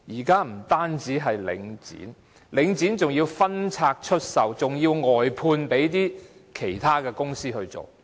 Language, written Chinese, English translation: Cantonese, 更甚的是，領展還要分拆出售，外判給其他公司營運。, Worse still Link REIT has even divested the facilities or outsourced them to other companies